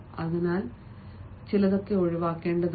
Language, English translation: Malayalam, so that should also be avoided